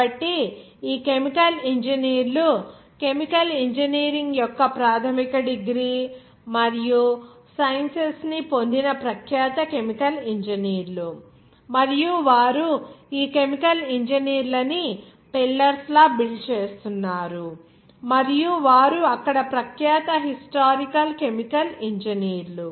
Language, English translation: Telugu, So these chemical engineers were their renowned chemical engineers who have got that basic degree and science of chemical engineering, and they were building pillars of these chemical engineers and they were renowned historical chemical engineers there